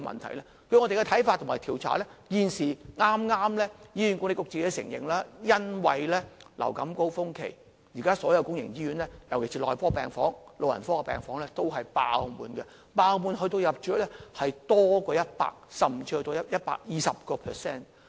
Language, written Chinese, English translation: Cantonese, 根據我們的看法和調查，醫管局剛承認，因為流感高峰期，現時所有公營醫院，尤其是內科病房、老人科病房也是爆滿的，爆滿的程度，是入住率超過 100%， 甚至達到 120%。, So is the recruitment of staff able to solve the problem? . On the basis of our observation and investigation and as HA has just admitted due to the influenza surges wards of all public hospitals particularly the medical and geriatric wards are fully occupied with the bed occupancy rate reaching 100 % or even as high as 120 % . The over - crowdedness of hospitals has persisted for years and has become a permanent feature